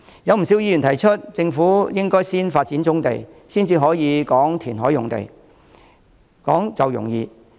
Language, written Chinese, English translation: Cantonese, 有不少議員提出，政府應該先發展棕地，再談填海用地。, Many Members pointed out that the Government should develop brownfield sites before talking about reclamation